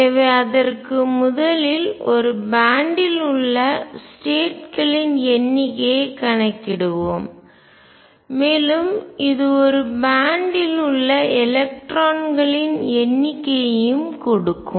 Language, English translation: Tamil, So, for that first let us calculate the number of states in a band, and this would also give us the number of electrons in a band